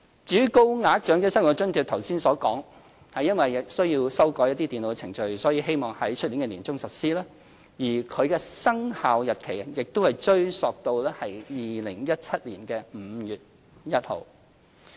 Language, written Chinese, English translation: Cantonese, 至於高額長者生活津貼，正如剛才所說，因需要修改電腦程序，我們希望在明年年中實施，而其生效日期亦會追溯至2017年5月1日。, Regarding the higher tier of OALA as pointed out above we aim at commencing the measure in the middle of next year because this involves amending the computer program . Likewise this will date back to 1 May 2017